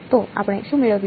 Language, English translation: Gujarati, So, what we derived